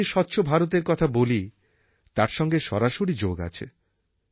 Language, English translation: Bengali, It is directly related to the Swachh Bharat Campaign that I talk about